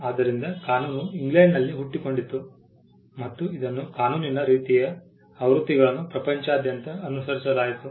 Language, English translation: Kannada, So, the law originated in England and it was followed around the world similar versions of the law